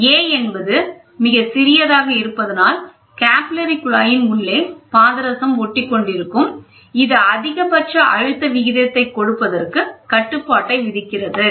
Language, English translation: Tamil, If a is made too small, the mercury tends to stick inside the capillary tube; this imposes a restriction on the upper limit of the compression ratio